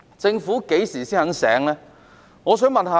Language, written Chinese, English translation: Cantonese, 政府何時才會醒覺呢？, When will the Government wake up to the problem?